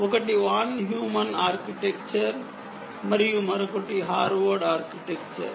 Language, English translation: Telugu, one is the von heuman architecture and the other is the harward architecture